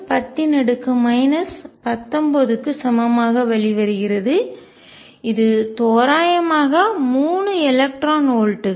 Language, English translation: Tamil, 6 times 10 raise to minus 19 roughly 3 electron volts